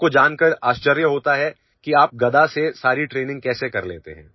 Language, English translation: Hindi, People are surprised to know how you do all the training with a mace